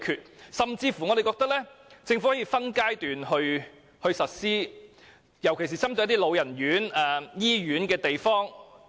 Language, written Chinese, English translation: Cantonese, 我們甚至認為政府可以分階段實施，尤其是針對老人院或醫院等地方。, We even think that the Government can introduce these changes by stages paying particular attention to routes serving residential care homes for the elderly and hospitals